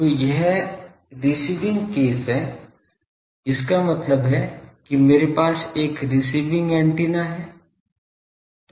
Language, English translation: Hindi, So, this is a receiving case; that means I have a receiving antenna